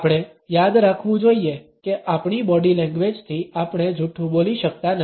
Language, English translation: Gujarati, We have to remember that with our body language we cannot lie